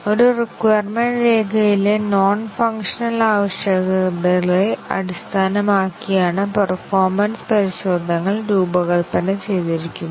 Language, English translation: Malayalam, The performance tests are designed based on the non functional requirements in a requirements document